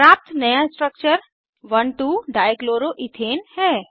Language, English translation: Hindi, The new structure obtained is 1,2 Dichloroethane